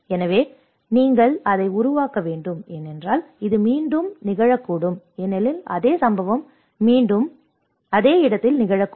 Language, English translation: Tamil, So, there is you have to create that because this might repeat again because the same incident might occur again and again at the same place